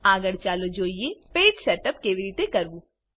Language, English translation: Gujarati, Next lets see how to setup a page